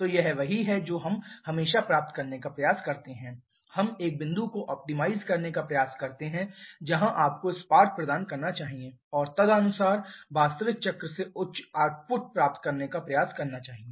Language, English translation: Hindi, So, this is what we always try to achieve we try to optimize a point where you should provide the spark and accordingly try to get higher output from the actual cycle